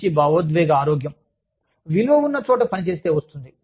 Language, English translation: Telugu, Good emotional health comes from, working in a respectful place